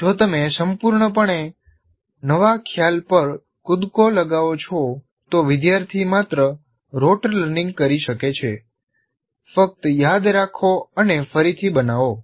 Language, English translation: Gujarati, If you jump to a completely new concept, the only thing that the student can do is only do it by road learning